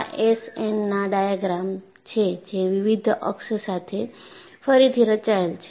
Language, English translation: Gujarati, This is again your SN diagram re plotted with different axis